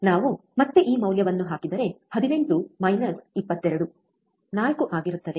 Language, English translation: Kannada, If we put this value again, 18 minus 22 would be 4 again it is a mode